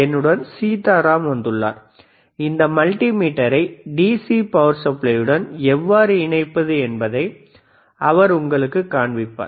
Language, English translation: Tamil, Sitaram is here to accompany me and he will be showing you how to connect this multimeter to the DC power supply so, let us see